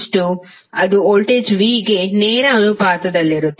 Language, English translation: Kannada, That would be directly proposnal to voltage V